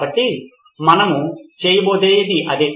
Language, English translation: Telugu, So that is what we are going to do